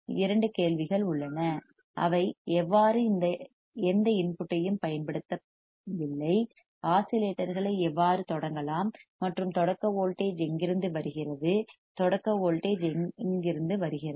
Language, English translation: Tamil, There are two questions right, how they are not applying any input how oscillations can start and if there is a starting voltage from where it is coming from where the starting voltage is coming